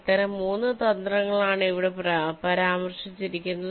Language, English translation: Malayalam, there are three such strategies which are mentioned here